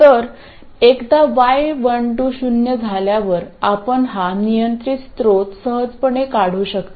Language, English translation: Marathi, So, once Y12 is 0, we can simply remove this control source